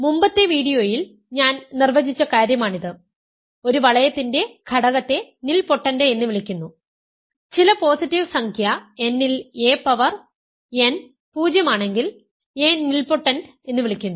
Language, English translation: Malayalam, This is something I defined in previous video; an element of a ring is called nilpotent, if a power n is 0 for some positive integer n right, a is called nilpotent if some power of a when you multiply a with itself certain number of times you get 0